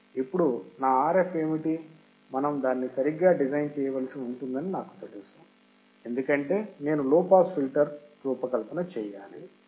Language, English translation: Telugu, Now, what is my Rf, I do not know suppose we have to design it right, because design of low pass filter